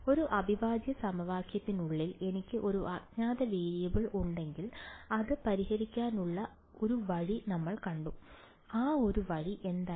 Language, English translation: Malayalam, We have seen that if I have a unknown variable inside a integral equation we have seen one way of solving it and what was that one way